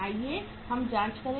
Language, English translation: Hindi, Let us check